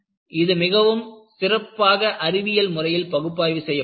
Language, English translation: Tamil, And, this was done a very nice scientific analysis